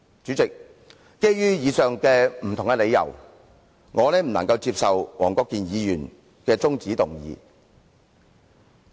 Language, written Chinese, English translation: Cantonese, 主席，基於以上不同的理由，我不能夠接受黃國健議員的中止待續議案。, President in view of the various reasons stated above I cannot accept Mr WONG Kwok - kins adjournment motion